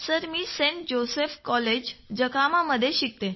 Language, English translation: Marathi, Joseph's College, Jakhama Autonomous